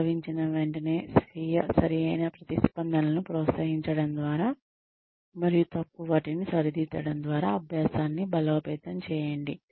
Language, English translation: Telugu, Reinforce learning, by encouraging autocorrect responses, and correcting the incorrect ones, immediately after occurrence